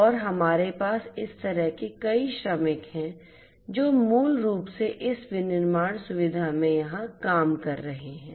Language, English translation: Hindi, And we have many such workers like this who are basically doing the work over here in this manufacturing facility